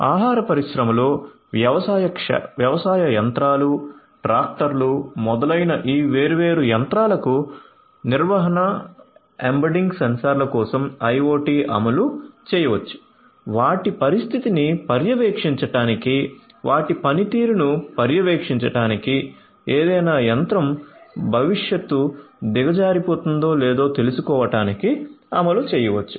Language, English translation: Telugu, So, in the food industry IoT implementations can be done for maintenance embedding sensors to these different machines such as farm machinery, tractors, etcetera, etcetera to monitor their condition, to monitor their performance, to detect whether any machine is going to go down in the future